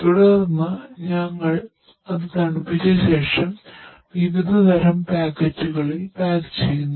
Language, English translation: Malayalam, Subsequently, we cool it and then we pack into the different types of packets